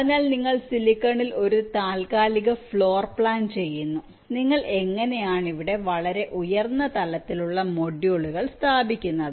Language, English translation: Malayalam, so you do a tentative floor plan on the silicon, how you will be placing the different very high level modules here